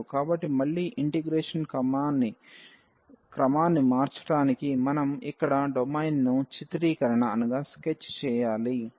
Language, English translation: Telugu, So again to change the order of integration we have to sketch the domain here